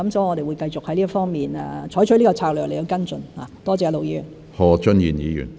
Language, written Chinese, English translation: Cantonese, 我們會繼續在這方面採取此策略來跟進，多謝盧議員。, We will continuously adopt this strategy in following up the work in this respect . Thank you Ir Dr LO